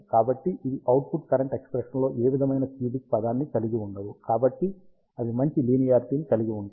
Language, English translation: Telugu, So, they do not contain any cubic term in the output current expression, so they have a better linearity